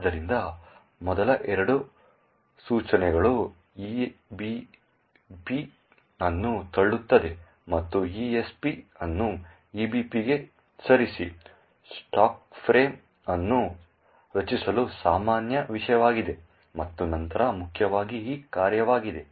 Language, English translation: Kannada, So, the first two instructions push EBP and move ESP to EBP, are the usuals thing to actually create the stack frame and then importantly is this function